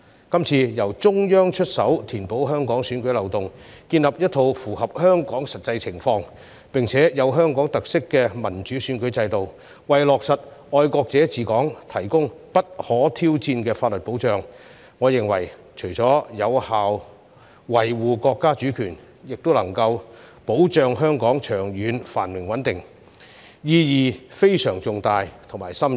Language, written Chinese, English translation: Cantonese, 這次由中央出手填補香港選舉漏洞，建立一套符合香港實際情況，並具有香港特色的民主選舉制度，為落實"愛國者治港"提供不可挑戰的法律保障，我認為除有效維護國家主權外，亦能保障香港長遠繁榮穩定，意義非常重大且深遠。, Tell me which country will allow these things to happen? . Now the Central Authorities have taken the initiative to mend the loopholes in Hong Kong elections setting up an electoral system in the light of the actual situation of Hong Kong with Hong Kong characteristics and also providing unchallengeable legal safeguards for implementing patriots administering Hong Kong . I think this apart from effectively upholding the national sovereignty can also safeguard the long - term prosperity and stability of Hong Kong and so this has profound and far - reaching meaning